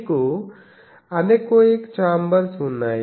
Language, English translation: Telugu, Then you have anechoic chambers